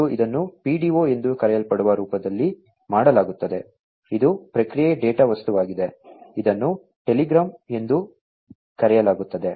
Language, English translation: Kannada, And, this is done in the form of something known as the PDO, which is the Process Data Object, it is also known as the telegram